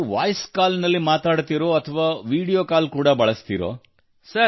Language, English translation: Kannada, Do you talk through Voice Call or do you also use Video Call